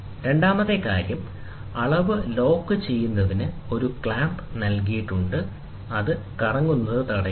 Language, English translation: Malayalam, Second thing, a clamp is provided to lock for the reading, ok, there is a clamp, which tries to try, and then which prevents it from rotating